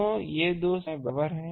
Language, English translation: Hindi, So, these two structures are equivalent